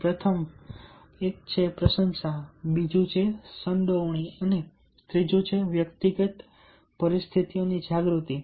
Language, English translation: Gujarati, first one is appreciation, second one is involvement and third one is awareness of personal situations